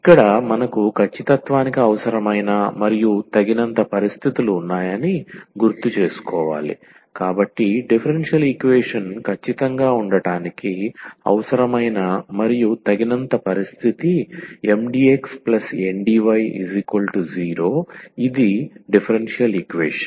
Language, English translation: Telugu, So, here just to recall that we have the necessary and sufficient conditions for the exactness, so, the necessary and sufficient condition for the differential equation to be exact is Mdx plus Ndy is equal to 0 that was the differential equation